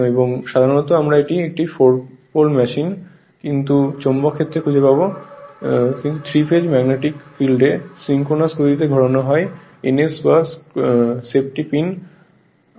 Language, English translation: Bengali, And generally we will find it is a 4 pole machine , but the magnetic field, but the magnetic field at 3 phase magnetic field its rotate at the synchronous speed ns that is safety pin 100 RMP for example